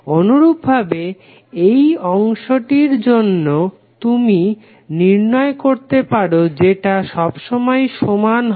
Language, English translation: Bengali, Similarly, for this segment also you can calculate and this will always remain same